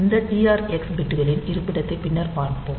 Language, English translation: Tamil, So, we will see this location of these TR x bits slightly later